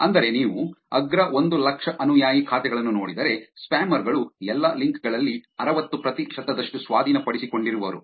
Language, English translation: Kannada, That is if you look at the top 100,000 spam follower accounts for 60 percent of all links acquired by the spammers